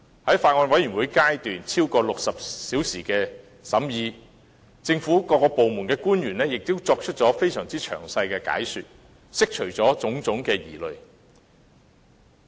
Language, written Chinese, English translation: Cantonese, 在法案委員會超過60小時的審議過程中，政府各部門官員作出了非常詳細的解說，釋除了種種疑慮。, During the deliberation process of the Bills Committee which lasted for more than 60 hours officials from various government departments gave very detailed explanations to allay doubts